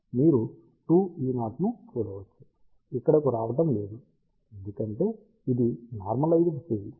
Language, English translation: Telugu, You can see that 2 E 0 is not coming over here, because this is normalized field